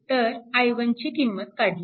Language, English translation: Marathi, So, this is your i 1 is solved